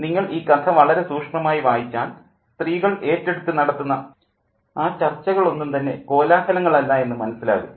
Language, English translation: Malayalam, If you read the story pretty closely, the discussions that are undertaken by the women are not racket at all